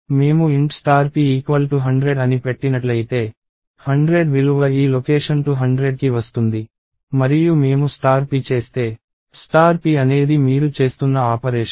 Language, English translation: Telugu, If I put int star p equals to 100, the value 100 gets into this location 200 and if I do star p, star p is an operation that you are doing